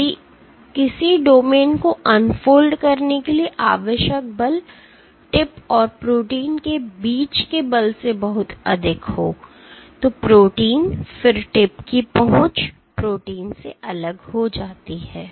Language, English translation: Hindi, If the force required to unfold a domain is much greater than the force of addition between the tip and the protein, then the protein, then the tip reach is detached from the protein